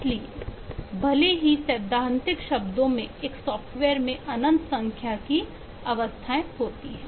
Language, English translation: Hindi, so even though in theoretical terms a software has infinite number of states, yet many of these states are intractable